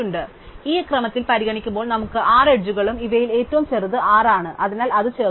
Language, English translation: Malayalam, So, every 6 edges when we consider them in this order, so among these of course, if smallest is 6, so we add